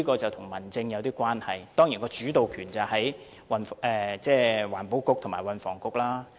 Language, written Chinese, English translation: Cantonese, 這是跟民政有點關係的，而當然，主導權在環境局和運輸及房屋局。, This is somewhat related to home affairs but of course the Environment Bureau and the Transport and Housing Bureau have the leading roles to play . We have a deadlock here